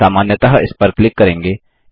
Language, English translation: Hindi, So, we will simply click on it